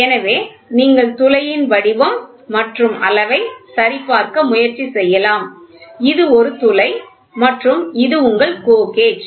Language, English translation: Tamil, So, then only you can try to check the shape and size of the hole this is a hole and this is your GO gauge